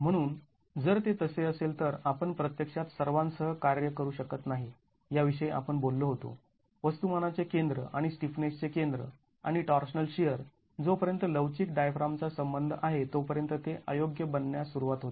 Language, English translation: Marathi, So, if that is so, we cannot actually work with all that we have talked about, the center of mass and center of stiffness and the torsional shear starts becoming inappropriate as far as flexible diaphragms are concerned